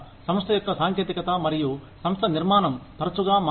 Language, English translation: Telugu, The company's technology, and organization structure, change frequently